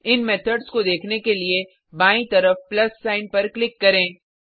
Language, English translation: Hindi, Click on the plus sign on the left, to view these methods